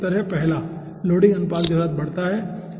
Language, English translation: Hindi, so correct answer is first: 1 increases with loading ratio